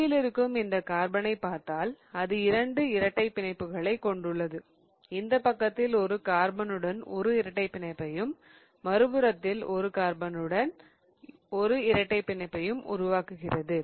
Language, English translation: Tamil, If you think about it this middle carbon, it has to form two double bonds, one double bond on this side with one carbon and the other double bond with the other carbon and it cannot really form both the double bonds in the same plane, right